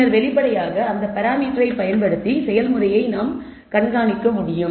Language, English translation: Tamil, And then obviously, we can monitor the process using that that parameter